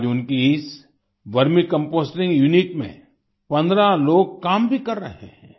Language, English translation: Hindi, Today 15 people are also working in this Vermicomposting unit